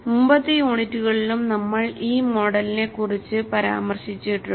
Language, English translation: Malayalam, We have touched upon this model in the earlier units also